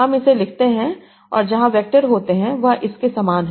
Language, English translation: Hindi, So that is I compute the vectors of these